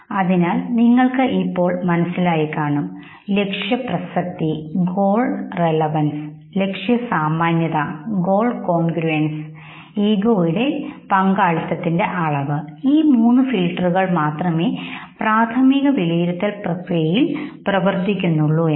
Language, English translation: Malayalam, So you understand these things now, so just goal relevance, goal congruence and the level of the degree of involvement of your ego, only these three filters are used and this leads to the primary operation mechanism